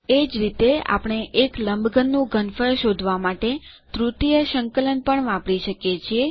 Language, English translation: Gujarati, Similarly, we can also use a triple integral to find the volume of a cuboid